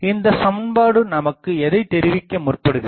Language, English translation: Tamil, So, what is this equation tells us